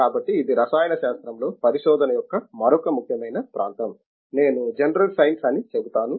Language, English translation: Telugu, So this is another important area of research in chemistry, I will say general science